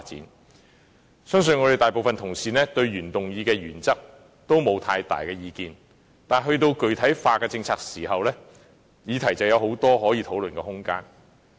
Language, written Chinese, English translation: Cantonese, 我相信大部分同事對原議案的原則也沒有太大的異議，但說到具體政策，便有很多可以討論的空間。, I believe most Honourable colleagues do not have any strong objection to the principles of the original motion but when it comes to the specific policies there can be plenty of room for discussion